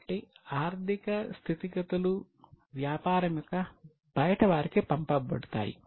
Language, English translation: Telugu, So, financial statements are passed on to outsiders of the business